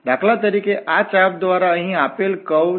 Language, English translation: Gujarati, So, for instance, this is the curve given by this arc here